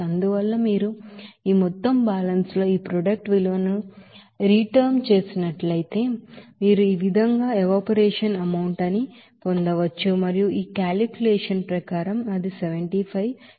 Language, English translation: Telugu, And hence if you substitute this product value in this overall balance, you can get what should be the you know evaporation amount there as E and that is 75 kg according to this calculation